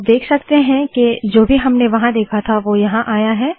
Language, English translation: Hindi, You can see that whatever we saw there has come here